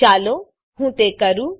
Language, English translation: Gujarati, Let me do that now